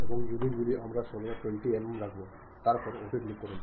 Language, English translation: Bengali, And units we always be careful like 20 mm then click OK